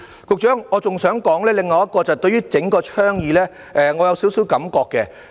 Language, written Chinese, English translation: Cantonese, 局長，我亦想說說我對整個倡議的少許感覺。, Secretary I also want to talk about a bit of my feelings about the entire initiative